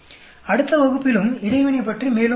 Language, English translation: Tamil, We will talk more about interaction in the next class as well